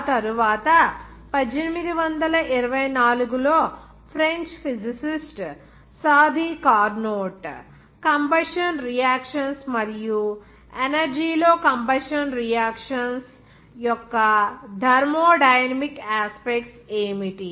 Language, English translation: Telugu, After that 1824 of French physicist Sadi Carnot and he also worked on, it is called combustion reactions and what is the thermodynamic aspects of combustion reactions energy in energy out